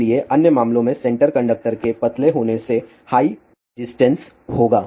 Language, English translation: Hindi, So, center conductor being thin in the other cases will have a high resistance